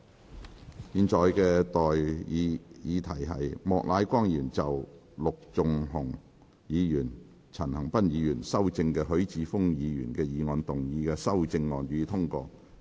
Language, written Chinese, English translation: Cantonese, 我現在向各位提出的待議議題是：莫乃光議員就經陸頌雄議員及陳恒鑌議員修正的許智峯議員議案動議的修正案，予以通過。, I now propose the question to you and that is That Mr Charles Peter MOKs amendment to Mr HUI Chi - fungs motion as amended by Mr LUK Chung - hung and Mr CHAN Han - pan be passed